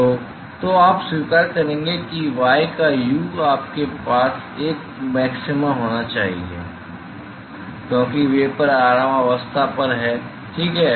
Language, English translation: Hindi, So, so you would accept that the u of y you should have a maxima, because vapor is at rest ok